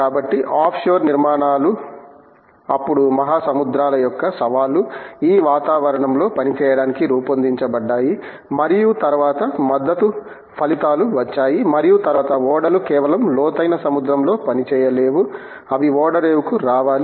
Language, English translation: Telugu, So, offshore structures where then designed to be operated in the challenging environments of the oceans and then of course, there were support results and then of course, ships cannot just go and operate in the deep sea they have to come to the harbour